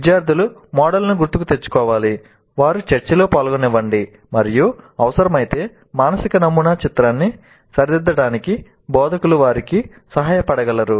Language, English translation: Telugu, Let the students recall the model and let them engage in a discussion and instructors can help them correct the picture of the mental model if necessary